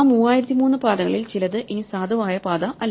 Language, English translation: Malayalam, Out to those 3003 some paths are no longer valid paths